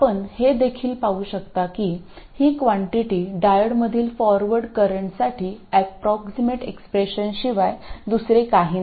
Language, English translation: Marathi, You can also see that this quantity here is nothing but the approximate expression for the forward current in the diode